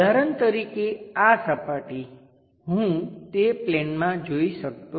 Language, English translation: Gujarati, For example, this surface I can not visualize it on that plane